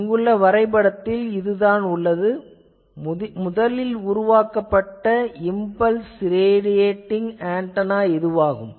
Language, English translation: Tamil, And this is the picture of the first develop this thing this is called impulse radiating antenna